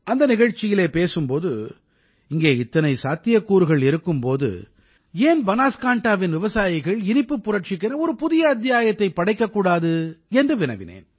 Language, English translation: Tamil, In that programme, I had told the people that there were so many possibilities here… why not Banaskantha and the farmers here write a new chapter of the sweet revolution